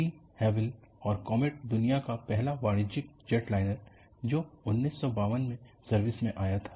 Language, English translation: Hindi, De Havilland Comet,the world's first commercial jetliner went into service in 1952